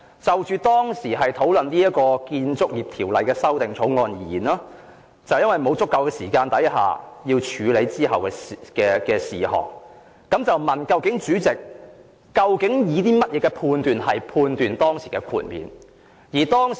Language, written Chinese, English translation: Cantonese, "就當時討論的《2000年建築物管理條例草案》而言，由於沒有足夠時間處理之後的事項，他便問主席究竟以甚麼準則判斷當時的豁免。, As there was not sufficient time to deal with the subsequent items in respect of the Building Management Amendment Bill 2000 being discussed back then he asked the Chairman about the criteria she used for judging whether the dispensation should be granted